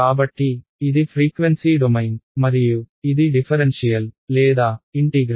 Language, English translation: Telugu, So, it is frequency domain and it is a differential or integral